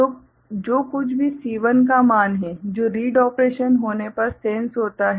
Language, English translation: Hindi, So, whatever is the value of the C1 that gets sensed when the read operation is done